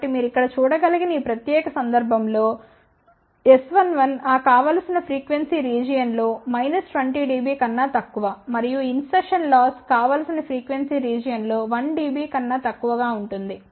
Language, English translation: Telugu, So, for this particular case as you can see here S 11 is less than minus 20 dB in that desired frequency region and insertion loss is less than 1 dB in that desired frequency region so just to summarize